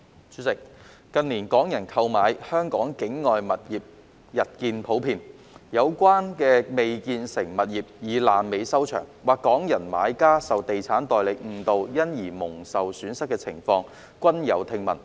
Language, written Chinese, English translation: Cantonese, 主席，近年，港人購買香港境外物業日見普遍，而有關的未建成物業以"爛尾"收場，或港人買家受地產代理誤導因而蒙受損失的情況，均時有聽聞。, President in recent years it has been increasingly common for Hong Kong people to purchase properties outside Hong Kong and scenarios in which the uncompleted properties failed to be delivered in the end or Hong Kong buyers suffered losses as a result of being misled by estate agents have been heard from time to time